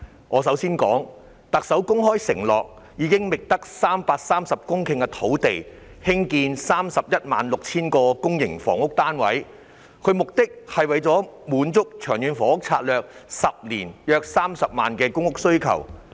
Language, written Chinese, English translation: Cantonese, 我首先想談的是，特首公開承諾會在覓得的330公頃土地上興建 316,000 個公營房屋單位，以滿足《長遠房屋策略》未來10年約30萬個公屋單位的需求。, The first thing I would like to talk about is that the Chief Executive has publicly undertaken to build 316 000 public housing units on the 330 hectares of land identified to satisfy the demand for public rental housing of about 300 000 units under the 10 - year Long Term Housing Strategy